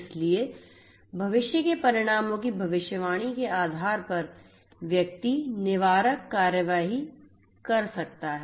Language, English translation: Hindi, So, proactively you know based on the prediction of future outcomes one can take preventive actions